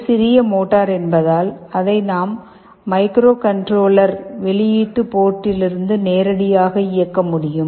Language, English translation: Tamil, And the motor, because it is a small motor we are using, we can drive it directly from the microcontroller output port, we have used one PWM port